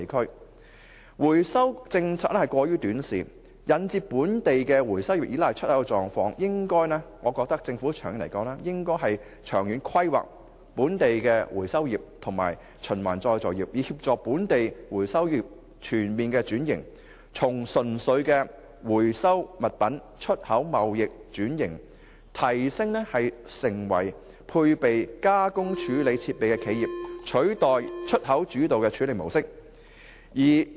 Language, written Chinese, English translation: Cantonese, 香港回收政策過於短視，引致本地回收業依賴出口，長遠而言，我認為政府應該長遠規劃本地回收業及循環再造業的發展，以協助本地回收業全面轉型，從純粹回收物品出口貿易，轉型提升為配備加工處理設備的企業，取代出口主導的處理模式。, The Governments local recovery policy is too short - sighted rendering the trades reliance on waste export . In the long run the Government should plan for the development of the local recovery and recycling industry and facilitate a complete upgrading and restructuring of the sector by shifting its model from an export - oriented recycling operation to a system with waste reprocessing capability